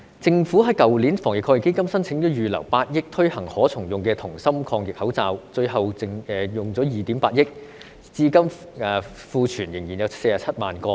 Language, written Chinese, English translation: Cantonese, 政府在去年防疫抗疫基金申請預留8億元推行可重用的銅芯抗疫口罩，最後耗資2億 8,000 萬元，至今庫存仍有47萬個。, The Government applied to earmark 800 million from the Anti - epidemic Fund last year for introducing CuMasks which eventually cost 280 million; and there is still a stockpile of 470 000 pieces now